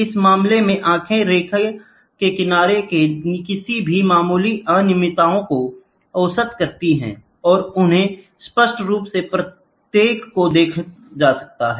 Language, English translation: Hindi, In this case, the eye average the averages any slight irregularities of the edges of a scale line when seen clearly space them each